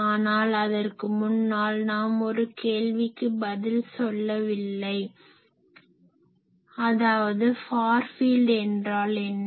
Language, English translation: Tamil, But before that we have not answered one question that is; what is far field